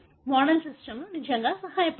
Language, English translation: Telugu, That is where model systems really really help